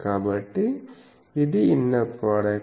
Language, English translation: Telugu, So, this is a inner product